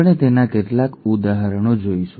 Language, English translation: Gujarati, We will see a couple of examples of those